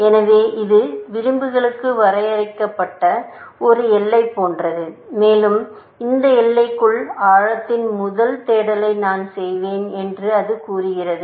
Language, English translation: Tamil, So, it is like a boundary it is drawn for edges, and it is saying that within this boundary, I will do the depth first search